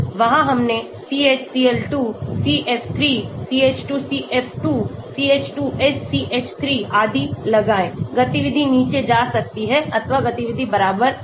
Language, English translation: Hindi, there we put in CHCl2, CF3, CH2CF2, CH2SCH3 and so on, activity may go down or activity may be equal